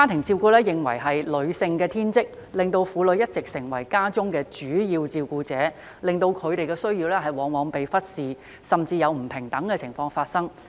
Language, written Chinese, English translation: Cantonese, 照顧家庭被認為是女性的天職，令婦女一直成為家中的主要照顧者，令她們的需要往往被忽視，甚至出現不平等情況。, Due to the belief that women are born to take care of their families they have all along been the main carers in families . As a result their needs are often neglected and worse still inequalities exist